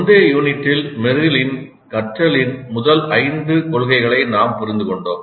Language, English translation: Tamil, So in this unit we understand instruction design based on Merrill's five first principles of learning